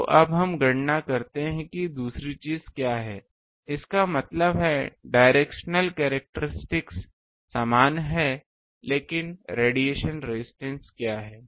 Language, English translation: Hindi, So, now let us calculate what is the other thing; that means, directional characteristic is same but what is the radiation resistance